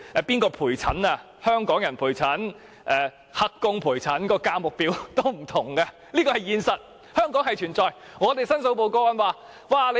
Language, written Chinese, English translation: Cantonese, 由香港人還是"黑工"陪診，價錢是不同的，這是香港存在的現實問題。, The prices for escorting an elderly person to medical consultations by a Hong Kong worker and an illegal worker are different . This is a realistic issue existed in Hong Kong